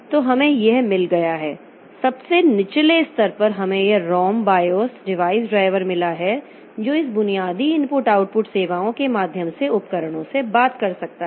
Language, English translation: Hindi, So we have got this at the lowest level we have got this ROM BIOS device drivers that can talk to the devices through this basic input output services